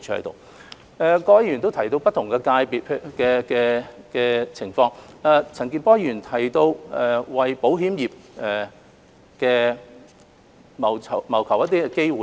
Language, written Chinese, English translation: Cantonese, 各位議員亦提到不同界別的情況，陳健波議員提到要為保險業謀求機會。, Members have also touched on the situation of different sectors and Mr CHAN Kin - por highlighted the need to seek opportunities for the insurance industry